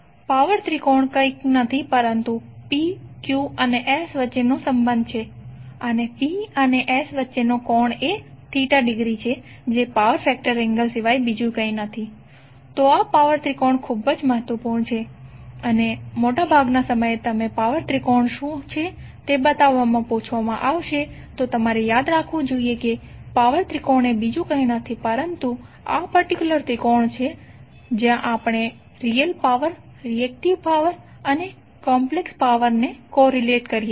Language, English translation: Gujarati, Power triangle is nothing but the relationship between P, Q and S and the angle between P and S is the theta degree which is nothing but the power factor angle, so this power tangle is very important and most of the time you will be asked to show what is the power triangle, so you should remember that the power tangle is nothing but this particular triangle where we co relate real power, reactive power and the complex power